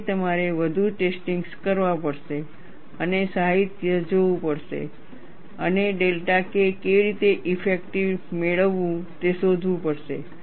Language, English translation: Gujarati, So, you have to perform more tests and look at the literature and find out, how to get the delta K effective